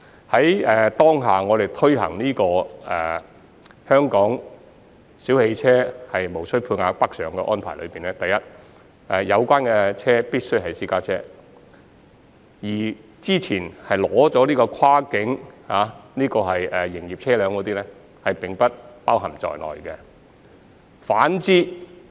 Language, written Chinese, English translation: Cantonese, 在我們現時推行的這項香港小汽車無需配額北上的安排中，有關車輛必須為私家車，之前已經取得跨境牌照的營運車輛並不包括在這項計劃之內。, Under this quota - free Scheme for Hong Kong cars travelling to Guangdong the vehicles concerned must be private cars . Commercial vehicles that have previously been issued with a cross - boundary licence are not covered by this Scheme